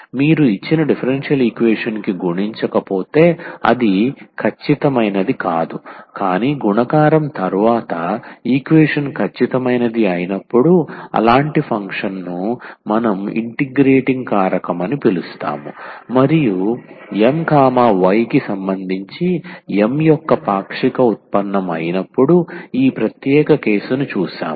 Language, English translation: Telugu, If you multiply to the given differential equation which is not exact, but after multiplication the equation becomes exact we call such a function as the integrating factor and we have seen this special case when M y the partial derivative of M with respect to y, partial derivative of N with respect to x